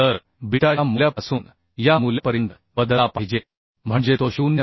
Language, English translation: Marathi, 7 So beta should vary from this value to this value means it should be greater than 0